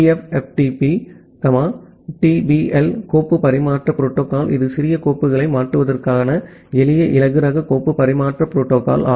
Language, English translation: Tamil, TFTP, TBL, file transfer protocol it is a simple lightweight file transfer protocol to transfer small files